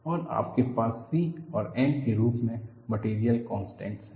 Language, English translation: Hindi, And what you have as c and m are material constants